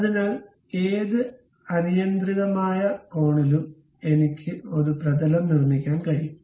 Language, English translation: Malayalam, So, at any arbitrary angle, I can really construct a plane